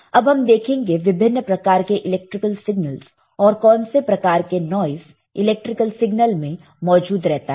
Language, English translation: Hindi, Let us now see what are the kind of electrical signals, what are the kind of noise present in the electrical signal